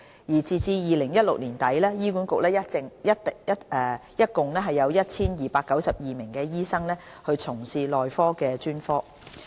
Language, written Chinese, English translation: Cantonese, 截至2016年年底，醫管局一共有 1,292 名醫生從事內科專科。, As at the end of 2016 there were 1 292 doctors working in the specialty of medicine under HA